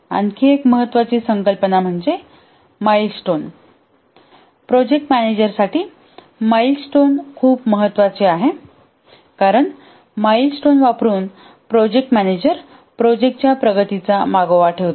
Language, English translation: Marathi, A milestone is very important for the project manager because using the milestones the project manager keeps track of the progress of the project